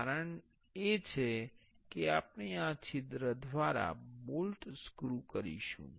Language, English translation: Gujarati, The reason is we will be screwing a bolt through this hole